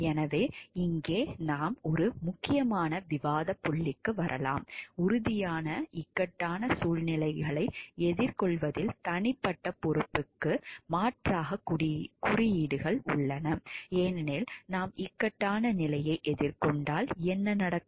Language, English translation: Tamil, So, here we may come to an important point of discussion, regarding are codes a substitute for individual responsibility in grappling with concrete in dilemmas, because what happens if we are facing a point of dilemma